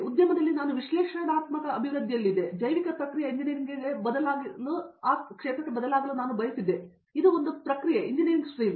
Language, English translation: Kannada, In the industry I was in analytical development, I wanted to shift over to bio process engineering; it’s a process engineering stream